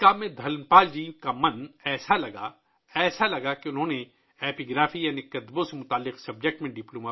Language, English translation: Urdu, Dhanpal ji's mind was so absorbed in this task that he also did a Diploma in epigraphy i